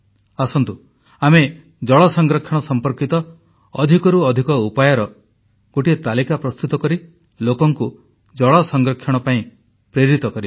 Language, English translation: Odia, Come let us join water conservation, and involve ourselves in making a list of more and more innovative methods to motivate people to conserve water